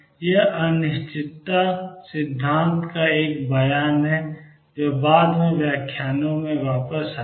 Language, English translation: Hindi, This is a statement of uncertainty principle which will come back to in later lectures